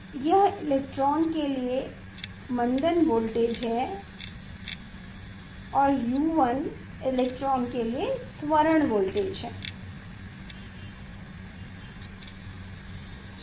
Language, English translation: Hindi, it is the retarded voltage for the electron and U 1 is the accelerated voltage for the electron